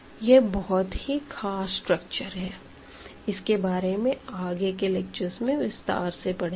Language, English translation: Hindi, So, this a very very special structure we will be talking about more later